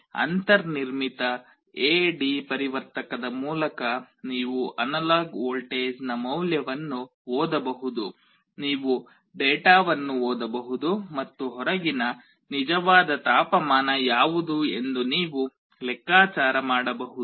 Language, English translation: Kannada, You can read the value of the analog voltage through built in A/D converter, you can read the data and you can make a calculation what is the actual temperature outside